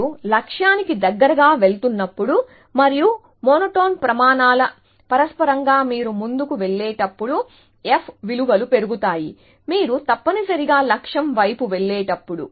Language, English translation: Telugu, As you go closer to the goal and a consequence of monotone criteria was that f values increase as you go forward, as you go towards the goal essentially